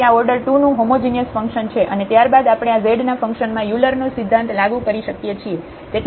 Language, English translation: Gujarati, So, this is a homogeneous function of order 2 and then we can apply the Euler’s theorem on this function z